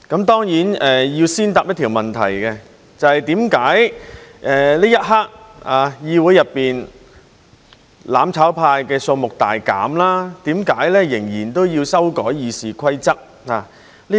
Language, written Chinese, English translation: Cantonese, 當然要先回答一條問題，就是為何此刻議會內"攬炒派"的數目大減，仍然要修改《議事規則》。, First of all I must answer the question why the Rules of Procedure RoP still need to be amended despite the substantial decrease in the number of Members of the mutual destruction camp in the Council